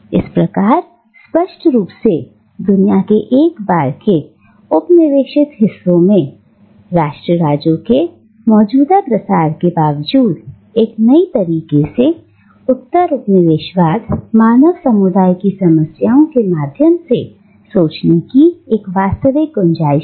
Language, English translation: Hindi, Thus, clearly, in spite of the current prevalence of nation states in the once colonised parts of the world, there is a real scope to think through the problems of the postcolonial human community in a new way